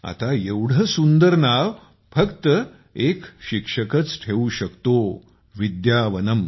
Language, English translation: Marathi, Now only a teacher can come up with such a beautiful name 'Vidyavanam'